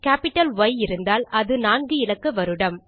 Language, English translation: Tamil, Its the capital Y for 4 digit year